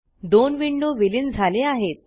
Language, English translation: Marathi, The two windows are merged